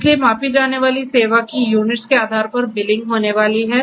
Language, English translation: Hindi, So, billing is going to happen depending on the units of measured service that are going to be used